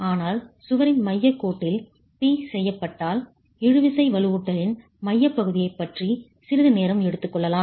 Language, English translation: Tamil, But if P is acting at the center line of the wall, you can then take moments about the centroid of the tension reinforcement